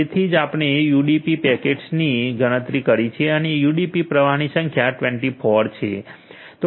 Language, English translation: Gujarati, So, that is why we have counted the UDP packaging also and number of UDP flows is 24